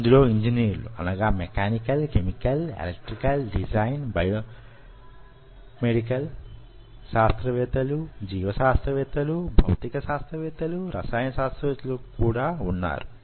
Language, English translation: Telugu, it is now a very integrated journey of engineers mechanical engineers, chemical engineers, electrical engineers and designers, biomedical scientists, biologists, physicists, chemists